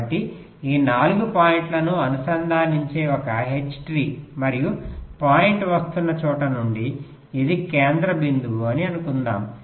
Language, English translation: Telugu, suppose you consider an h, so this an h tree, which was connecting these four points, and suppose this is the central point